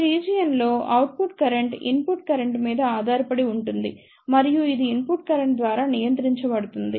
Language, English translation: Telugu, In this region, the output current depends upon the input current and it is controlled by the input current